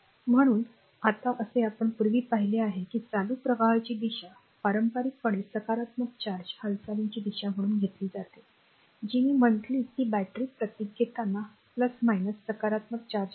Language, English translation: Marathi, So, now as we have seen earlier the direction of current flow is conventionally taken as the direction of positive charge movement I told you, that current when you take the battery symbol plus minus form the plus the positive charge is flowing